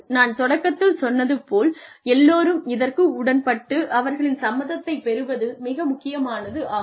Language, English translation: Tamil, Like I told you in the beginning, it is very important, to have everybody on board, get their consent